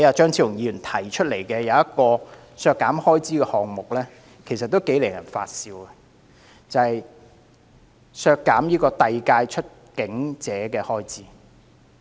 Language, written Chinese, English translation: Cantonese, 張超雄議員提出的另一項削減開支修正案，同樣令人發笑。就是削減遞解出境者的預算開支。, Dr Fernando CHEUNG has also proposed another ridiculous amendment to reduce the estimated expenditure for deportees